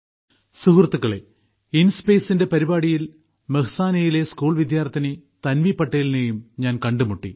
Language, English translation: Malayalam, Friends, in the program of InSpace, I also met beti Tanvi Patel, a school student of Mehsana